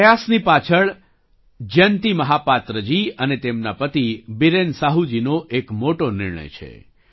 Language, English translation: Gujarati, Behind this effort is a major decision of Jayanti Mahapatra ji and her husband Biren Sahu ji